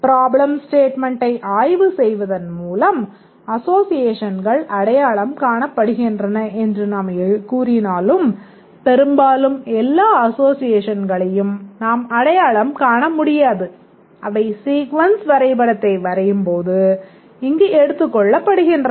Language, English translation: Tamil, Even though we said that associations are identified just by inspecting the statements, problem statement, but often we cannot identify all associations and they get captured here when we draw the sequence diagram